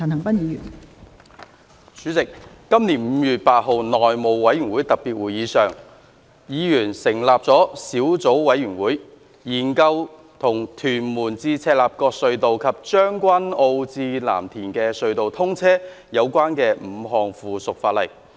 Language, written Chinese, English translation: Cantonese, 代理主席，在本年5月8日的內務委員會特別會議上，委員成立了小組委員會，研究與屯門—赤鱲角隧道及將軍澳—藍田隧道通車有關的5項附屬法例。, Deputy President at the special meeting of the House Committee on 8 May 2020 members formed a subcommittee to study the five items of subsidiary legislation in relation to the commissioning of the Tuen Mun - Chek Lap Kok Tunnel and the Tseung Kwan O - Lam Tin Tunnel